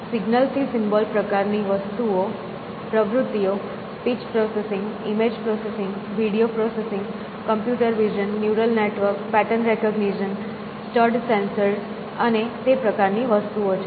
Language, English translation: Gujarati, Signal to symbol kind of activities, speech processing, image processing, video processing, computer vision, neural networks, pattern recognition, studs sensors and that kind of thing